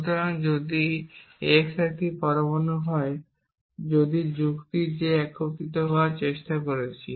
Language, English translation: Bengali, So, if x is an atom if the argument that we are trying to unify